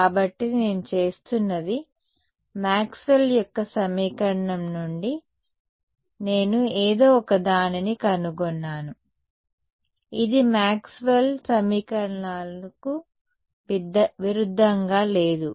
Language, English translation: Telugu, So, what I am doing is from Maxwell’s equation I am finding out something which is consistent right this is not inconsistent with Maxwell’s equations